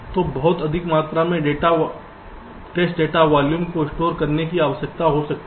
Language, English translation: Hindi, so the volume of test data that you need to store can be pretty huge